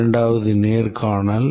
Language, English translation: Tamil, The second is interview